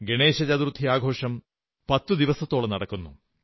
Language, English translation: Malayalam, Ganesh Chaturthi is a tenday festival